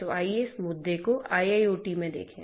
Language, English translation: Hindi, So, let us look at this trust issue in IIoT